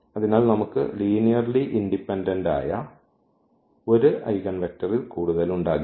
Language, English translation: Malayalam, So, we cannot have more than 1 linearly independent eigenvector